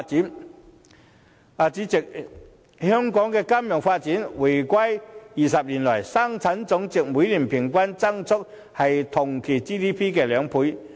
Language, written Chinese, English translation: Cantonese, 代理主席，香港的金融發展自回歸20年來，生產總值的每年平均增幅為同期 GDP 的兩倍。, Deputy President over the 20 years since the reunification the average growth rate of the total output of the financial industry has doubled that of the GDP for the same period in Hong Kong